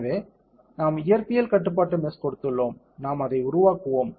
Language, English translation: Tamil, So, we have given physics controlled mesh and they, we will build it